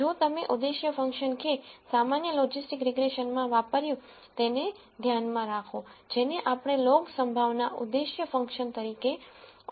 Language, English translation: Gujarati, If you notice the objective function that we used in the general logistic regression, which is what we called as a log likelihood objective function